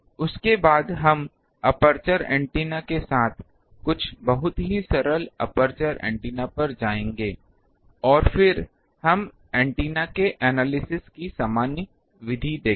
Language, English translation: Hindi, After that we will go to aperture antennas with some of the very simple aperture antennas, and then we will see the general method of analysis of antenna, ok